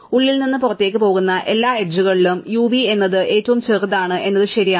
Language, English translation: Malayalam, So, it is true that among all the edges going from inside to outside, u v is the smallest one